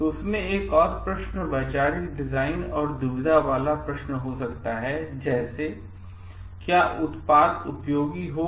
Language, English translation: Hindi, So, one of the questions functions could be conceptual design and the dilemma question could be like will the product be useful